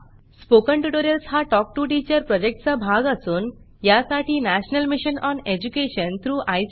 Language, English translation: Marathi, Spoken Tutorials are part of the Talk to a Teacher project, supported by the National Mission on Education through ICT